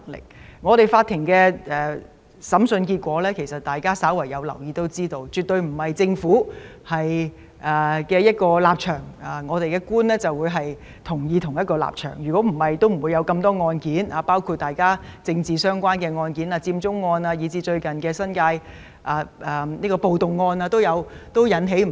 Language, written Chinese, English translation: Cantonese, 大家有留意的話，法庭的審訴結果顯示，並不是政府有何立場，法官都要支持，否則也不會有那麼多案件，包括與政治相關的案件、佔中案或最近的新界暴動案等。, If Honourable colleagues have paid attention the courts trial results show that the judges do not support all positions of the Government . Otherwise there would not have been so many cases including cases related to politics the Occupy Central case or the recent riot case in the New Territories